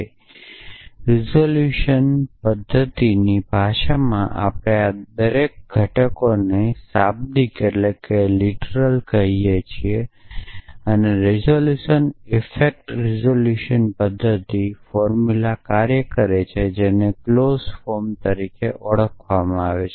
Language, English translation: Gujarati, So, in the language of resolution method we call each of these elements are literal and resolution effect resolution method works formulas in what is known as clause form